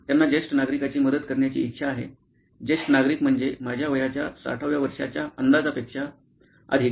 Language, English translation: Marathi, They wanted to help senior citizen, a senior citizen meaning more than I guess 60 years of age